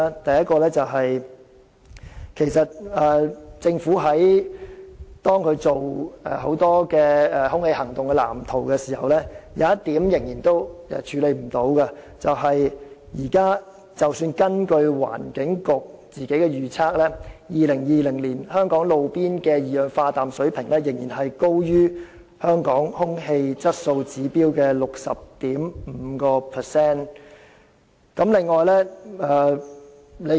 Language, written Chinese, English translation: Cantonese, 第一，在政府就空氣行動藍圖進行的規劃中，有一點仍然無法處理，那便是即使根據環境局自行作出的預測，到了2020年，香港的路邊二氧化氮水平仍然較空氣質素指標高出 60.5%。, Firstly as revealed by the Governments planning made in A Clean Air Plan for Hong Kong a problem remains unresolved because according to estimations made by the Environment Bureau the concentration of roadside nitrogen dioxide in Hong Kong by 2020 will still be high at 60.5 % above the guideline specified under the Air Quality Objectives